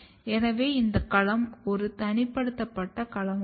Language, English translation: Tamil, So, this domain is one isolated domain